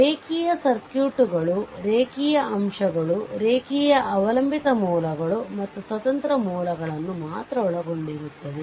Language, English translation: Kannada, So, a linear circuit consist only linear elements; so, linear dependent sources and independent source